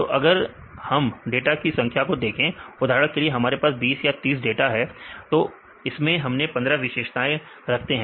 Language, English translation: Hindi, So, if we see the number of data for example, we have the 20 data or 30 data and if we do it fifteen features